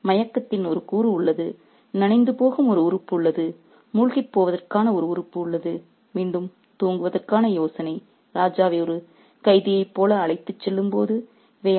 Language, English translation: Tamil, So, there is a element of drowsiness, there is an element of being drenched, there is an element of being sunk, and again the idea of being asleep when the king is being taken away like a prisoner